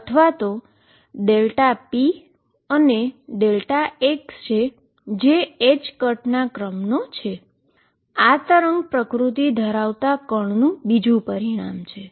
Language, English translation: Gujarati, This is another consequence of particle having a wave nature